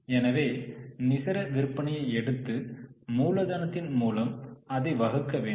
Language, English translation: Tamil, So, let us take net sales and divide it by working capital